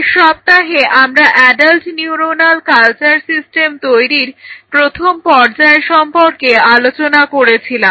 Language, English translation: Bengali, So, last week if you remember we talked about the first level how we can create a system for adult neuronal culture